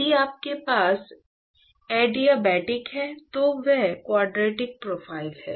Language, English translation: Hindi, So, supposing if you have adiabatic then what you will have is a quadratic profile right